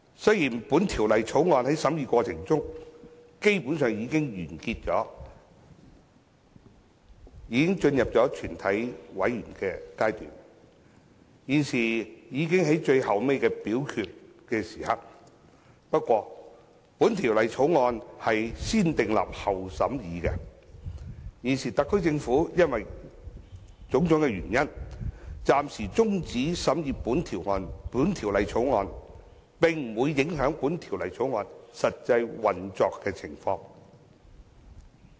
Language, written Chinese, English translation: Cantonese, 雖然《條例草案》的審議過程基本上已經完結，進入了全體委員會審議階段，已快到最後的表決階段，但《條例草案》為"先訂立後審議"的法案，現時特區政府因為種種原因，暫時中止審議《條例草案》，並不會影響《條例草案》的實際運作情況。, Though the Bill has basically completed the preliminary scrutiny process and has entered the Committee stage and will soon come to the final voting stage given that the Bill is a piece of legislation subject to negative vetting the temporary suspension of the scrutiny of the Bill by the SAR Government due to various reasons will not affect the actual enforcement of the Bill